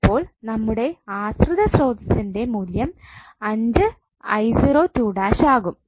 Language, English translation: Malayalam, So this is the value of the dependent voltage source